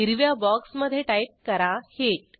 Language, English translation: Marathi, Type Heat in the green box